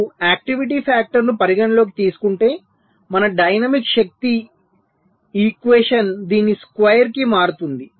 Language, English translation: Telugu, so if you take the activity factor into account, our dynamics power equation changes to this square